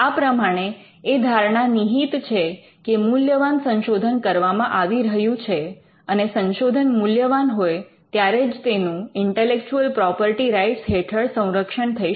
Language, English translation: Gujarati, So, there is an assumption that there is research that is valuable and only if there is research that is valuable, can that be protected by intellectual property rights